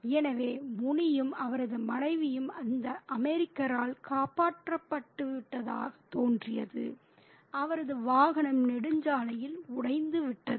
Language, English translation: Tamil, So, Muni and his wife seemed to be saved by this American whose vehicle breaks down in the highway